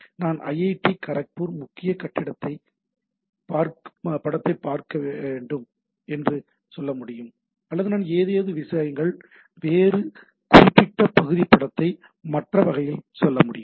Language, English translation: Tamil, So, I can have IIT Kharagpur, say main building image or I can say something some other particular region image other type of things